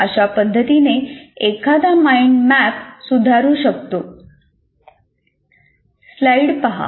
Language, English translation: Marathi, So one can modify the mind map